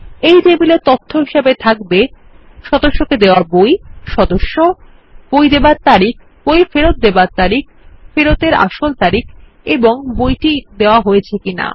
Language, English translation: Bengali, This table will track the book issued, the member, date of issue, date of return, actual date of return, whether checked in or not